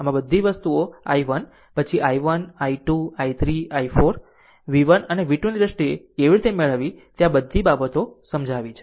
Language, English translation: Gujarati, So, all this things i 1 then i 1, i 2, i 3, i 4, all how to get it in terms of v 1 and v 2 all this things are explained